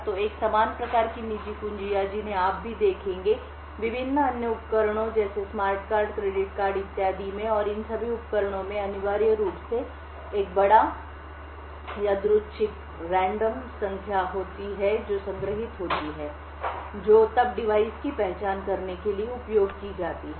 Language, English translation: Hindi, So, a similar type of private keys that you would see also, in various other devices like smart cards, credit cards and so on and all of these devices essentially have a large random number which is stored, which is then used to identify the device